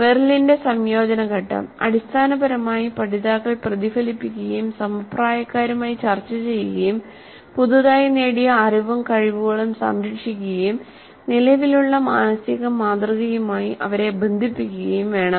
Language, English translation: Malayalam, Then the integration, the integration phase of Merrill essentially learners should reflect, discuss with peers, defend their newly acquired knowledge and skills, relate them to their existing mental model